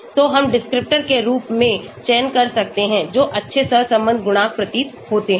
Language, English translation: Hindi, So we can select as the descriptors, which appear to have good correlation coefficient